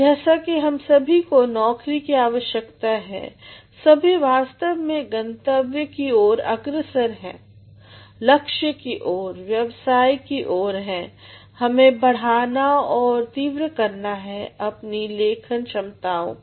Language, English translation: Hindi, As all of us require jobs, all of us actually are towards the destination, towards the goal, towards the career we have to enhance and sharpen our writing abilities